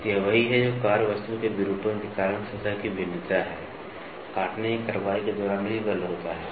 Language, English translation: Hindi, So, that is what the surface variation caused by deformation of the workpiece, during the action of cutting force is also there